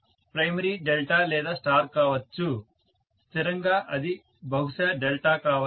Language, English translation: Telugu, Primary can be delta or star, invariably it may be delta